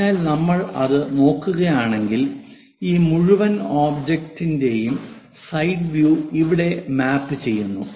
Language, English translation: Malayalam, So, if we are looking at that, the side view of this entire object maps here